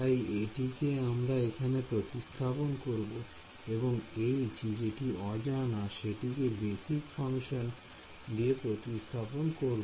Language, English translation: Bengali, So, I will just substituted over there and H is the unknown which in which I will replace the basis functions